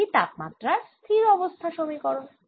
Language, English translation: Bengali, that is a steady state temperature equation